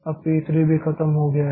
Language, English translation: Hindi, Now p3 is also over